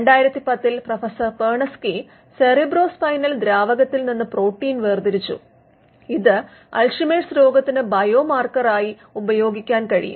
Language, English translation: Malayalam, In 2010 Professor Perneczky isolated protein in cerebrospinal fluid that could be used as a biomarker for Alzheimer’s disease